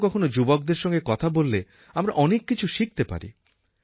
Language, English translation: Bengali, Sometimes when we talk to the youth we learn so many things